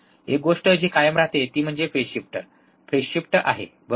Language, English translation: Marathi, One thing that remains constant is the phase shift, is the phase shift, right